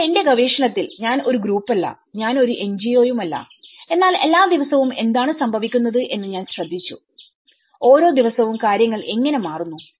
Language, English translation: Malayalam, But in my research, I looked because I am not a group, I am not an NGO, but I am looking at everyday what is happening every day, how things are changing every day